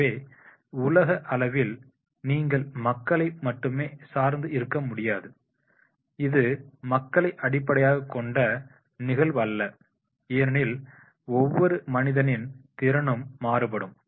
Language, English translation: Tamil, So at the global level you cannot depend on the people only, that is that this will be people based because every human being's capacity to do that will be very